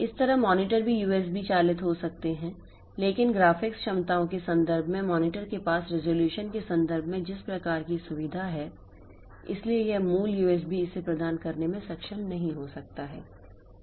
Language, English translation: Hindi, Similarly, the monitors can also be USB driven but the type of feature that the monitor has in terms of resolution in terms of graphics capabilities